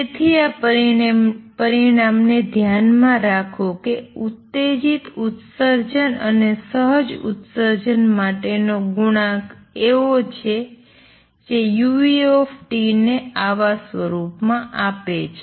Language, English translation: Gujarati, So, keep this result in mind that the coefficient for stimulated emission and spontaneous emission are as such that they give u nu T in this form